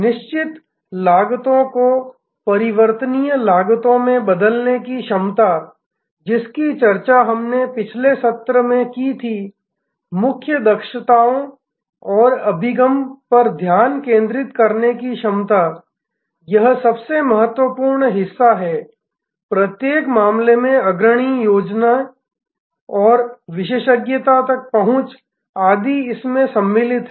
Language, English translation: Hindi, The ability to transform fixed costs into variable costs which we discussed in the last session, the ability to focus on core competencies and access, this is the most important part; access in each case the leading competency and expertise